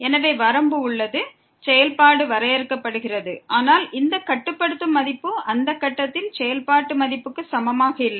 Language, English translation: Tamil, So, the limit exists the function is defined, but this limiting value is not equal to the functional value at that point